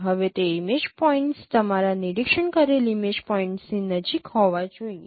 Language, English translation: Gujarati, Now those image points should be close to your observed image point